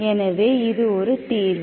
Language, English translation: Tamil, So what is your solution